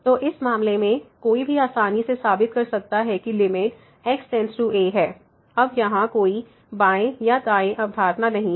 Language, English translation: Hindi, So, in this case also one can easily prove that limit goes to a now there is no left or right concept here